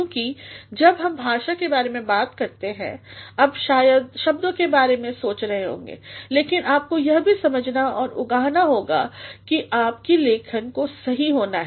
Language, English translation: Hindi, Because when we talk about the language, you might be thinking of words, but you also have to understand and realize that your writing has to be correct